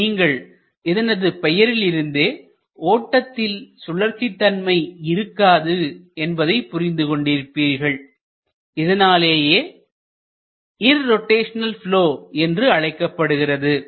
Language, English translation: Tamil, And from the name itself, it is quite clear that there is no element of rotationality in the flow; that is why it is called as irrotational flow